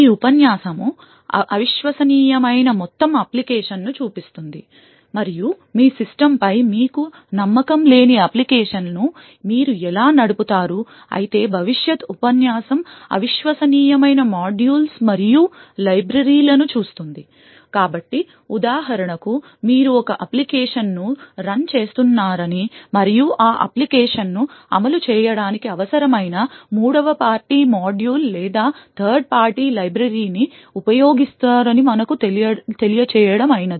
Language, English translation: Telugu, While this lecture looks at the entire application that is untrusted and how you would run an application which you do not trust in your system while a future lecture would look at modules and libraries which are untrusted, so for example let us say that you are running an application and you use a third party module or a third party library which is needed for that application to execute